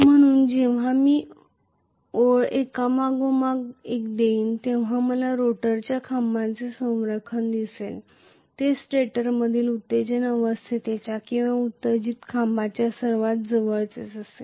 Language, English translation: Marathi, So, as I give the pulses one after another I will see the alignment of rotor poles whichever is the closest to the excited phase or excited poles in the stator